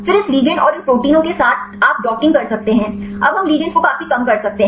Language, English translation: Hindi, Then with this ligands and these proteins you can do docking, we can now we significantly reduce the ligands